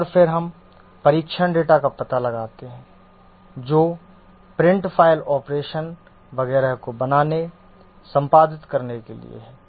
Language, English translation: Hindi, And then we find out the test data which correspond to create, edit, print, file operation etc